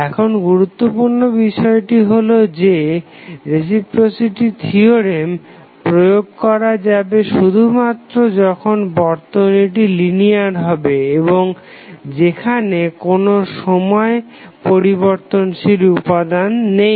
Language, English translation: Bengali, Now, important thing is that the reciprocity theorem can be applied only when the circuit is linear and there is no any time wearing element